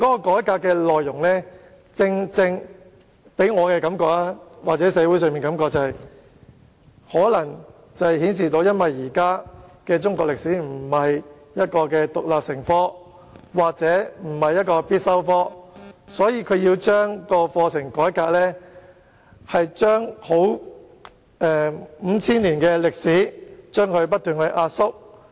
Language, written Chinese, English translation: Cantonese, 改革建議給予我或社會的感覺是，可能由於現時中史並非獨立成科，亦不是必修科，所以局方擬改革有關課程，將五千年歷史不斷壓縮。, The reform proposals have given me or the community the impression that maybe because Chinese History is neither an independent subject nor a compulsory subject at present the Bureau intends to reform the curriculum by compressing its contents on Chinas 5 000 years of history as much as possible